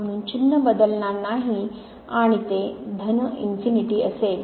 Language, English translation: Marathi, So, sign will not change and it will be plus infinity